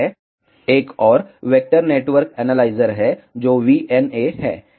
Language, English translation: Hindi, Another one is a vector network analyzer which is VNA